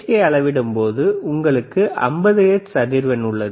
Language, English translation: Tamil, So, when we measure the AC, you have 50 hertz frequency